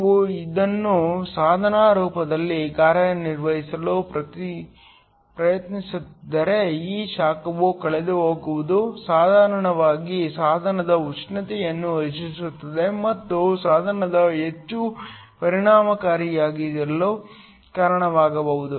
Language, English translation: Kannada, If you are trying to operate this in a form of a device this heat lost can basically increase the temperature of the device and cause the device to be more in efficient